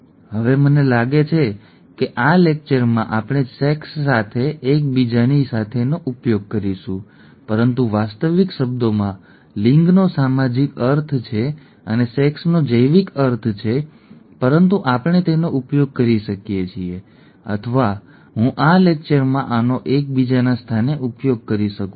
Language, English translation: Gujarati, Now, gender I think in this lecture we would use interchangeably with sex but in actual terms gender has a social connotation and sex has a biological connotation but we could use this, or I could use this interchangeably in this lecture